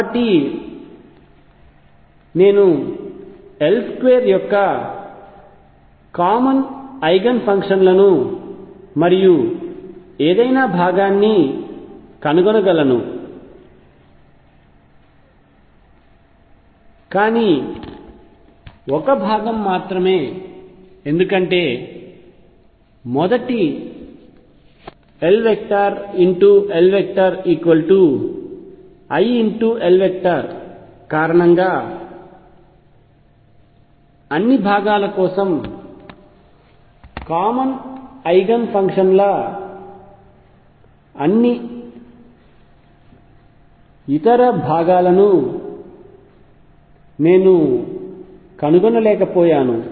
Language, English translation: Telugu, So, I can find common eigen functions of L square and any component, but only one component because all other components I cannot find it because of the first L cross L equals i L the common eigen functions for all components